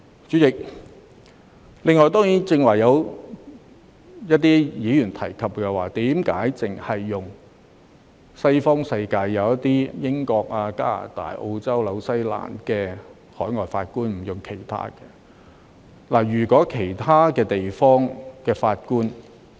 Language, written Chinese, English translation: Cantonese, 主席，此外，剛才有一些議員提出為何只委任西方國家的法官，例如英國、加拿大、澳洲、新西蘭的法官，而不委任其他國家的法官。, President some Members queried just now why only judges from Western countries such as the United Kingdom UK Canada Australia and New Zealand but not those from other countries have been appointed